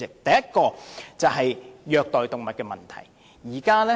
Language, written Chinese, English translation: Cantonese, 第一點是虐待動物的問題。, The first point is animal cruelty